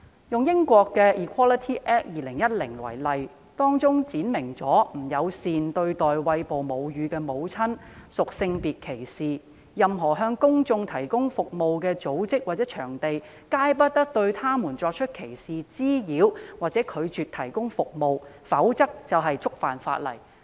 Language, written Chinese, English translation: Cantonese, 英國的 Equality Act 2010闡明不友善對待餵哺母乳的婦女屬性別歧視，任何向公眾提供服務的組織或場地，皆不得對餵哺母乳的婦女作出歧視、滋擾或拒絕提供服務，否則便會觸犯法例。, The Equality Act 2010 of the United Kingdom states that being hostile to breastfeeding women is sex discrimination . Any organization or venue that provides services to the public must not discriminate against harass or refuse to provide service to breastfeeding women; otherwise the law will be violated